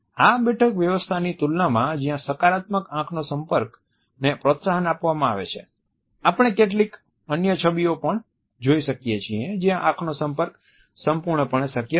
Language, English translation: Gujarati, In comparison to these seating arrangements where a positive eye contact is encouraged, we can also look at certain other images where the eye contact is not fully possible